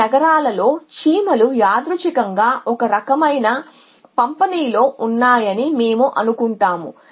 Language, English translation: Telugu, And we assume that is ants kind of distributed randomly across these cities